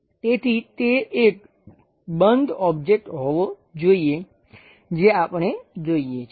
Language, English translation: Gujarati, So, it should be a closed object we are supposed to see